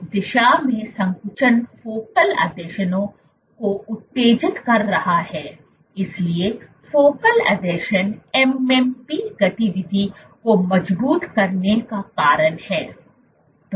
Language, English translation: Hindi, In one direction contractility is stimulating focal adhesions, focal adhesions are reason to robust MMP activity